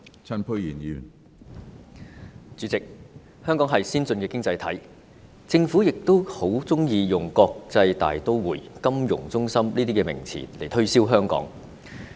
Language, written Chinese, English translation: Cantonese, 主席，香港是先進的經濟體，政府亦十分喜歡用國際大都會、金融中心等名詞來推銷香港。, President Hong Kong is an advanced economy and the Government very much likes to use such terms as international metropolis and financial centre to promote Hong Kong